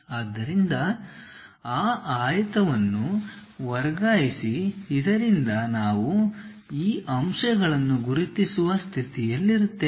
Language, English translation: Kannada, So, transfer that rectangle so that we will be in a position to identify these points